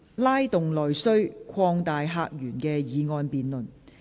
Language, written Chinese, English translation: Cantonese, "拉動內需擴大客源"的議案辯論。, The motion debate on Stimulating internal demand and opening up new visitor sources